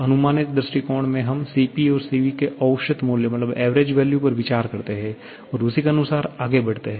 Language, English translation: Hindi, In approximate approach, we consider an average value of Cp and Cv and proceed accordingly